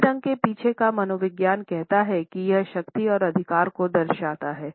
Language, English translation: Hindi, The psychology behind the color black says that it reflects power and authority